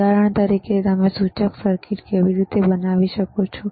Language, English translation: Gujarati, For example, how you can fabricate indicator circuit